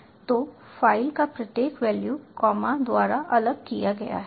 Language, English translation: Hindi, you have various strings separated by comma